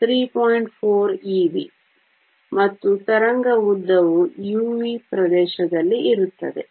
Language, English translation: Kannada, 4 e v, and the wave length will lie in the u v region